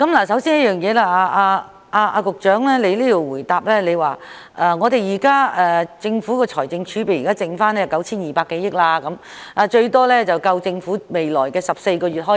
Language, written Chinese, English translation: Cantonese, 首先，局長在主體答覆中指出，現時的財政儲備結餘約為 9,200 多億元，最多可應付政府約14個月的開支。, First of all the Secretary pointed out in the main reply that the current consolidated balance of the fiscal reserves stood at more than 920 billion equivalent to about 14 months of government expenditure at most